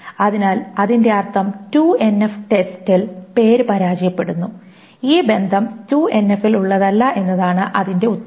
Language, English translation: Malayalam, So that means name fails the 2NF test and the answer is that this is the relationship is not in 2NF